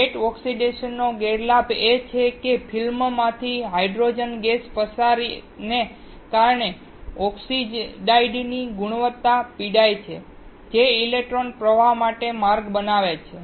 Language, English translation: Gujarati, The disadvantage of wet oxidation is that the quality of the oxide suffers due to diffusion of the hydrogen gas out of the film which creates paths for electron flow